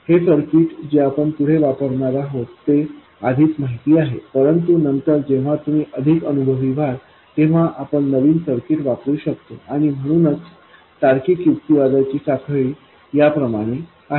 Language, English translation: Marathi, This circuit we are going to come up with is already well known but later when you become more experienced you can come up with new circuits and that is why a chain of logical reasoning just as this one